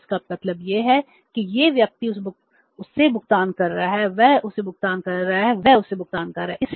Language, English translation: Hindi, So it means this person is making the payment to him, he is making the payment to him, he is making the payment to him